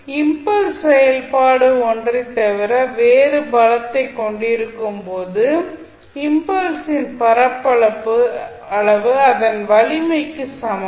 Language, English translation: Tamil, So, when the impulse function has a strength other than the unity the area of the impulse is equal to its strength